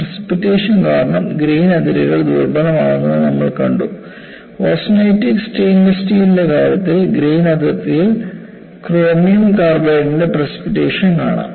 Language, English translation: Malayalam, We have seen the grain boundaries are corroded due to precipitation; in the case of austenitic stainless steel, you find precipitation of chromium carbide, along the grain boundary